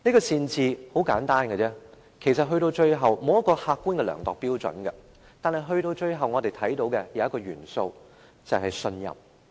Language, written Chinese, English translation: Cantonese, 善治很簡單，其實歸根究底，並無客觀的量度標準，但我們看到一個元素，便是信任。, Good governance is very simple . In a nutshell there is no objective yardstick but we can note an element which is trust